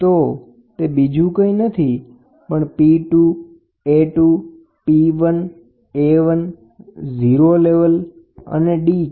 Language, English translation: Gujarati, So, that is nothing but A 2 so, P 2, A 2, P 1, A 1, 0 level, d